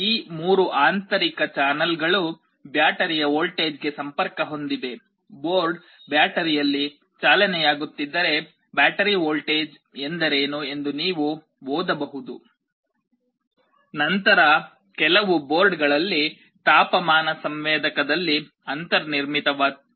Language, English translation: Kannada, These 3 internal channels are connected to the voltage of the battery; if the board is running on battery you can read what is the battery voltage, then there is a built in temperature sensor in some of the boards